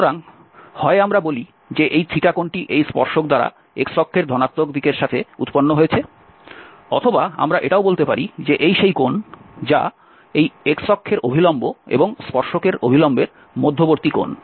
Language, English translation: Bengali, So, either we say that this theta is the angle of this tangent from the positive x axis or we call that this is the angle between normal to the axis and normal to the tangent